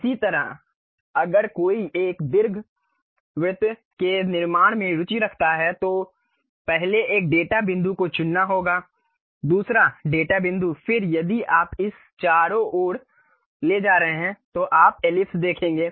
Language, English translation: Hindi, Similarly, if one is interested in constructing an ellipse first one data point one has to pick, second data point, then if you are moving it around you will see the ellipse